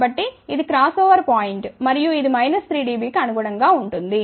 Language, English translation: Telugu, So, this is the cross over point and that corresponds to about minus 3 dB